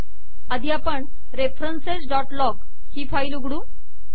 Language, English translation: Marathi, Let us first see the files references.log